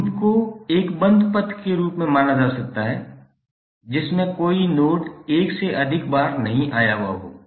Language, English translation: Hindi, Loop can be considered as a close path with no node passed more than once